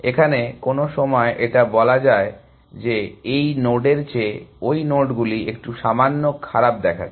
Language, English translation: Bengali, Let us say some point, these nodes start looking and little bit worst than that node